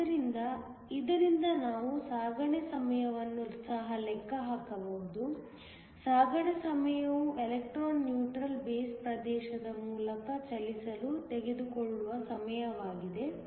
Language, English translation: Kannada, So, from this, we can also calculate the transit time; the transit time is the time it takes for the electron to move through the neutral base region